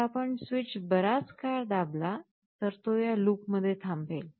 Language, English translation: Marathi, So, if we keep the switch pressed for a long time, it will wait in this loop